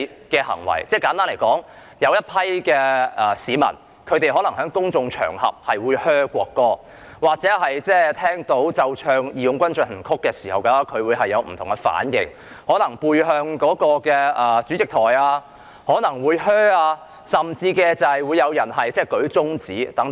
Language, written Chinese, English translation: Cantonese, 簡單而言，有一群市民可能在公眾場合對國歌喝倒采，聽到奏唱"義勇軍進行曲"時有不同的反應，可能背向主席台甚至舉起中指等。, Simply put a group of people booed the national anthem on public occasions or they reacted differently when the March of the Volunteers was being played and sung such as they turned their back on the rostrum or even showed their middle fingers